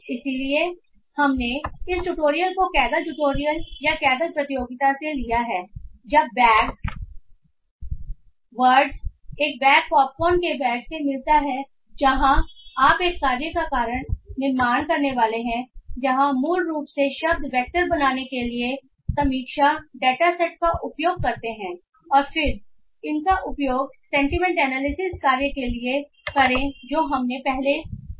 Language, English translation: Hindi, So we have taken this tutorial from the Cagle tutorial or the Cagle competition called when a bag of word meets bag of popcorn where you are supposed to build a task where you basically use the review dataset to build word vectors and then use them for the sentiment analysis task that we have previously seen